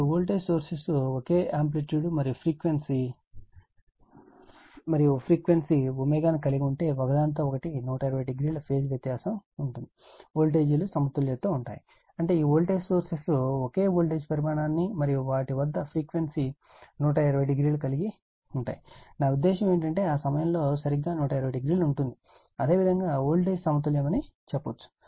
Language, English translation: Telugu, Now, if the voltage sources have the same amplitude and frequency omega and are out of phase with each other by 120 degree, the voltages are said to be balanced that means, this voltage sources have the same voltage magnitude and the frequency at they are 120 degree, I mean phase shift phase difference between there is exactly 120 degree at that time, you can tell the voltage is balanced right